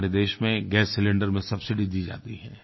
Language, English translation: Hindi, In our country, we give subsidy for the gas cylinders